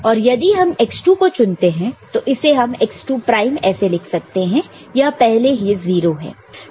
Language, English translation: Hindi, And if you choose it to be x2, so this one we can write as x2 prime this is already 0